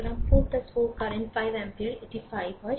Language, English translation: Bengali, So, 4 plus 4 into this current 5 ampere it is 5 right